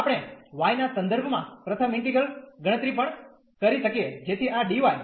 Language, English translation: Gujarati, We can also compute first the integral with respect to y so this dy